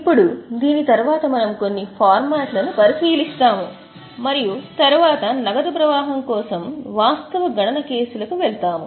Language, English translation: Telugu, Now after these we will move to we will have a look at certain formats and then we will move to the actual cases of calculation for cash flow